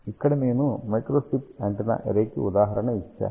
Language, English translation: Telugu, Here I have given an example of a microstrip antenna array